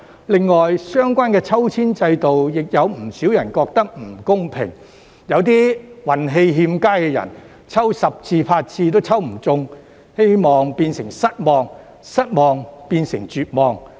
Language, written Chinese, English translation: Cantonese, 另外，相關抽籤制度，有不少人覺得不公平，有些運氣欠佳的人，抽十次八次也抽不中，希望變成失望，失望變成絕望。, In addition many people feel that the balloting system is unfair and there are some unlucky people whose numbers have not been drawn in the ballot even after eight or 10 attempts . Their hope has turned into disappointment and disappointment into despair